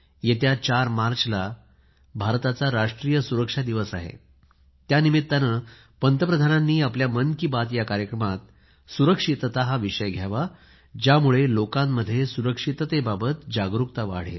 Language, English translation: Marathi, Since the 4th of March is National Safety Day, the Prime Minister should include safety in the Mann Ki Baat programme in order to raise awareness on safety